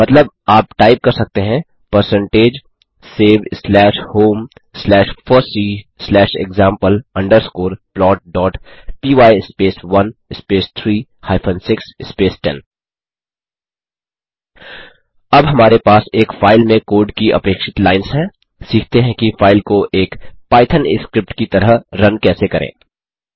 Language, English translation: Hindi, Hence you can type in the syntax of percentage save slash home slash fossee slash plot underscore script dot py space 1 space 3 hyphen 6 space 8 This command saves the first line of code and then third to sixth followed by the eighth lines of code into the specified file